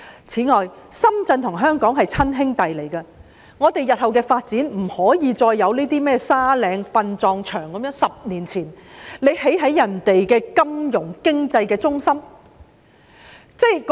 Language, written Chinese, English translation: Cantonese, 此外，深圳與香港是親兄弟，我們日後的發展不可以再出現像沙嶺殯葬場的情況，即10年前便在別人的金融經濟中心旁興建殯葬場。, Furthermore Shenzhen and Hong Kong are brothers . In pursuing development in the future we cannot allow what happened in Sandy Ridge Cemetery and Crematorium to recur ie . building a cemetery and crematorium next to other peoples financial and economic centre 10 years ago